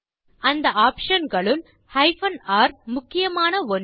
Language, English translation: Tamil, Among the options R is an important one